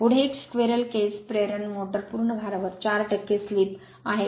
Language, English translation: Marathi, Next is a squirrel cage induction motor has a slip of 4 percent at full load